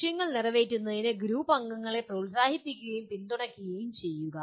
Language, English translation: Malayalam, Encourage and support group members in meeting the goals